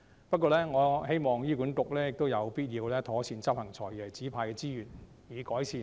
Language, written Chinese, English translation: Cantonese, 不過，我希望醫管局妥善運用"財爺"指派的資源，以改善服務。, However I hope that HA makes proper use of the resources allocated by FS to improve its services